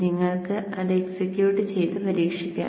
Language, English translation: Malayalam, You can execute it and then try it out